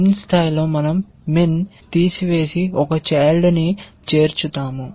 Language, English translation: Telugu, At min level we will remove min and add one child